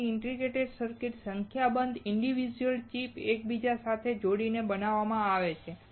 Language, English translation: Gujarati, So, the integrated circuit is fabricated by interconnecting a number of individual chips